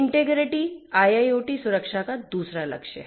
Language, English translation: Hindi, Integrity is the second goal of IIoT security